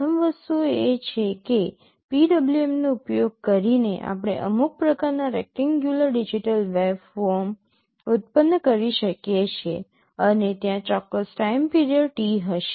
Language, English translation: Gujarati, The first thing is that using PWM we can generate some kind of rectangular digital waveform, and there will be a particular time period T